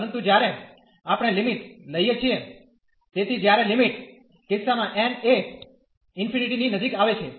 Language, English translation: Gujarati, But, when we are taking the limits, so in the limiting case when n is approaching to infinity